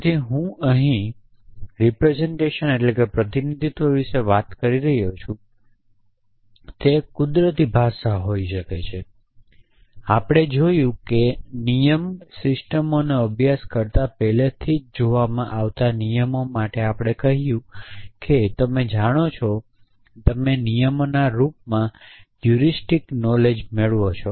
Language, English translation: Gujarati, So, I am talking about representation here it could be an natural language, we a seen rules already essentially when we studied rule base systems we said that you know you could capture heuristic knowledge in the form of rules